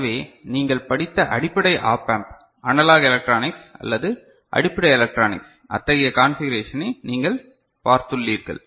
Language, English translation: Tamil, So, basic op amp, analog electronics or basic electronics that you have studied so, you have seen such configuration